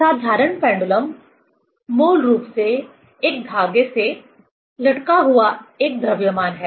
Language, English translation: Hindi, Simple pendulum is basically a mass hanged from a thread